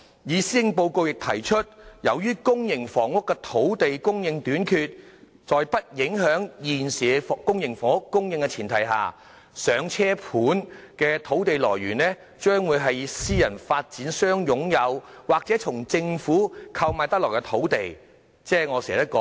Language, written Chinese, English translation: Cantonese, 施政報告亦提到，由於公營房屋的土地供應短缺，在不影響現時公營房屋供應的前提下，"上車盤"的土地來源將會是私人發展商擁有，或從政府購買得來的土地，即私人土地。, It was also mentioned in the Policy Address that given the limited land supply for public housing the Government would provide the proposed Starter Homes units only on the premise that the existing supply of public housing would not be affected . The land for Starter Homes will have to come from sites already owned by private developers or to be bought from the Government meaning private sites